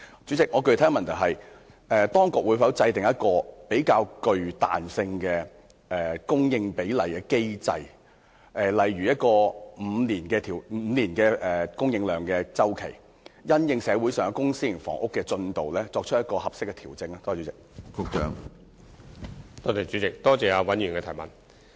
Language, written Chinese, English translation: Cantonese, 主席，我的具體補充質詢是，當局會否制訂一個較具彈性的供應比例機制，例如按5年的供應量周期，因應社會上公私營房屋的供應進度，就供應量作出適當的調整？, President my specific supplementary question is Whether the Government will consider introducing a more flexible mechanism for determining the publicprivate housing supply ratio so that a five - year review cycle for example would be adopted to make appropriate adjustments to its housing supply target in response to the prevailing production rates of public and private housing?